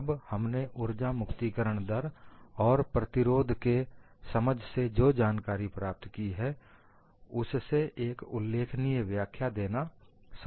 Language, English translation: Hindi, Now, with our knowledge of whatever you have understood as energy release rate and resistance, is it possible to give a plausible explanation